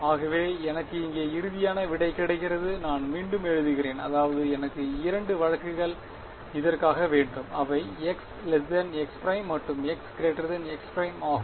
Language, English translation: Tamil, So, the final solution that I get over here I can write it again I will need two cases right for a x less than x prime and x greater than x prime